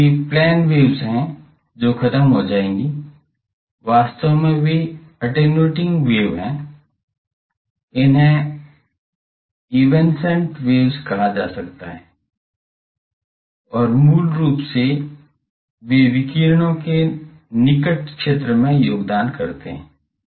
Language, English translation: Hindi, So these are plane waves which will die down, actually they are attenuating wave, they are called evanescent waves and basically they contribute to the near zone of the radiations